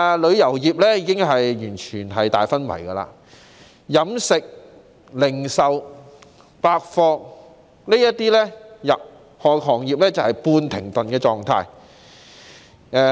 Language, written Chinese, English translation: Cantonese, 旅遊業已完全昏迷，而飲食業及零售百貨業等行業則處於半停頓的狀態。, While the tourism industry has been left in a complete coma other industries such as the catering industry and also the retail industry have been brought to a semi - halt